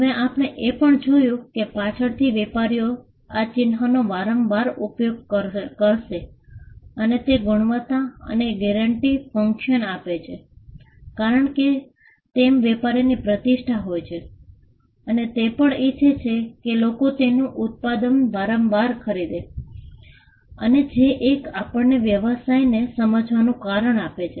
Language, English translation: Gujarati, Now, we also saw that later on the fact that, the trader would use the mark repeatedly and it gained a quality and a guarantee function because the trader had a reputation he would also want people to repeatedly buy his product and which we saw as one of the reasons by which we understand the business